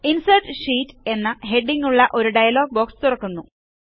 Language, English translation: Malayalam, A dialog box opens up with the heading Insert Sheet